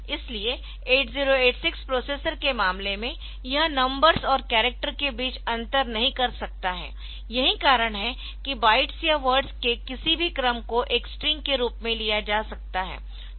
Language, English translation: Hindi, So, in case of 8086 processors, so it cannot distinguish between a numbers and characters ok, so that is why it is any sequence of bytes or words so that is taken as a string